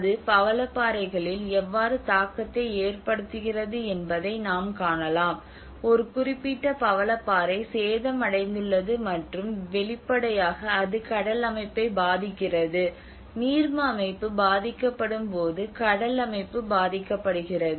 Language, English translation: Tamil, So now one can see them, one can witness how it has an impact on the coral reefs you know one certain coral reef has been damaged and obviously it affects the marine system, the marine system is affected when aqua system is affected